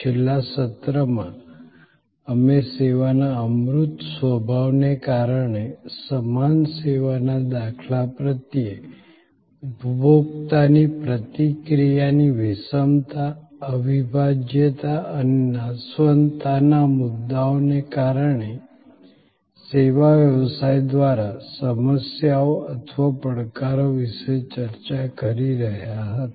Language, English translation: Gujarati, In the last session, we were discussing about the problems or challenges post by the service business, because of the intangible nature of service, because of the heterogeneity of consumer reaction to the same service instance and the inseparability and perishability issues